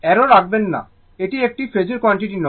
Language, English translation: Bengali, Do not put arrow, that this is not a phasor quantity